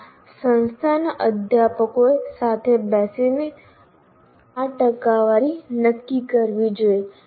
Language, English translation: Gujarati, Yes, the faculty of a particular institute should sit together and decide these percentages